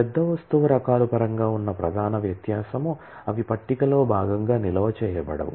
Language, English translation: Telugu, The only the major difference in terms of the large object types are they are not stored as a part of the table